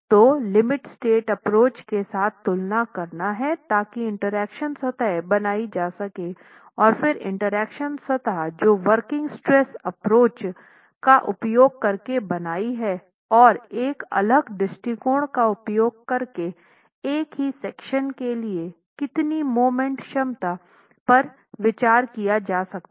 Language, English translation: Hindi, So, one exercise would be to compare this with the limit state approach to create an interaction surface and then look at the interaction surface that you have created using a working stress approach and how much more of moment capacity can be considered for the same section but using a different approach